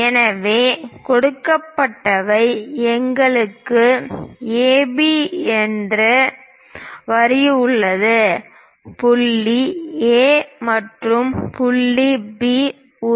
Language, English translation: Tamil, So, what is given is; we have a line AB; point A and point B